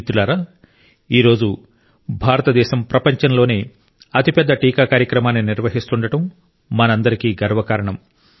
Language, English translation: Telugu, Friends, it's a matter of honour for everyone that today, India is running the world's largest vaccination programme